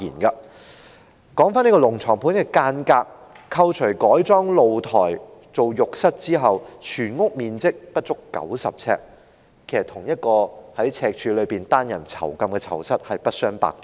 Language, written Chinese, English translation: Cantonese, 說回"龍床盤"的間格，扣除改裝露台作為浴室之外，全屋面積不足90平方呎，與赤柱單人囚室不相伯仲。, Coming back to the layout of this dragon bed unit we can see that apart from the conversion of the balcony into a bathroom the total area of the unit is less than 90 sq ft which is more or less the same as a single prison cell in Stanley